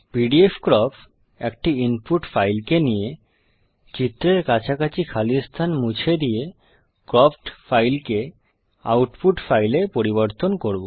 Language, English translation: Bengali, pdfcrop takes an input file, trims the space around the figure and writes out the cropped file in the output file